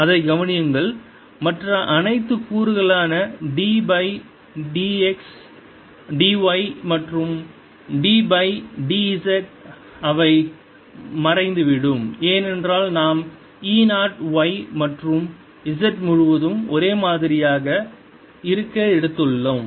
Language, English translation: Tamil, notice that all the other components, d by d, y and d by d z, they vanish because we have taken e naught to be same all over y and z